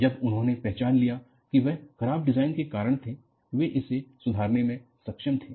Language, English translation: Hindi, When they identified that, they were due to poor design; they were able to improve it